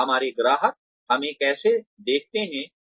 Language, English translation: Hindi, And, how our customers, view us